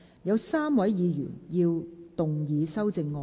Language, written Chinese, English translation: Cantonese, 有3位議員要動議修正案。, Three Members will move amendments to this motion